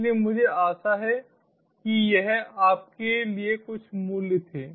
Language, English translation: Hindi, so i hope this was of some values to you